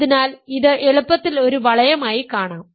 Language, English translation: Malayalam, So, this is easily seen to be a ring